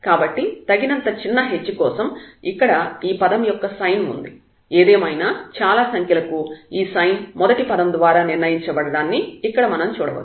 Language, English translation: Telugu, So, for sufficiently small h the sign of this term here; however, large these numbers are the sign will be determined by the first term which is which one can see here